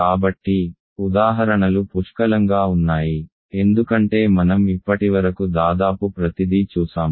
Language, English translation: Telugu, So, examples are plenty, because almost everything that we have seen so far